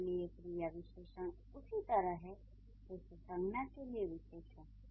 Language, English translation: Hindi, Adverbs are very similar to verbs what adjectives are to the nouns